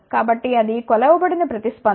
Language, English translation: Telugu, So, that is measured response